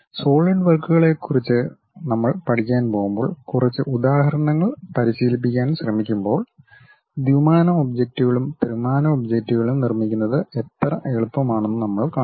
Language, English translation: Malayalam, When we are going to learn about Solidworks try to practice couple of examples, we will see how easy it is to really construct 2D objects and 3D objects